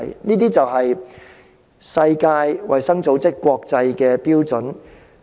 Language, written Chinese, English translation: Cantonese, 這是世衞制訂的國際標準。, This is an international standard laid down by WHO